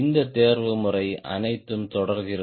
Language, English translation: Tamil, so all this combination goes on